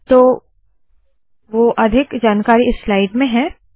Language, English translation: Hindi, So I have created a new slide